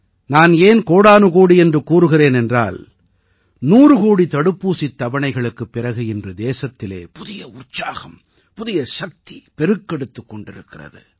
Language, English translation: Tamil, And I am saying 'kotikoti namaskar' also since after crossing the 100 crore vaccine doses, the country is surging ahead with a new zeal; renewed energy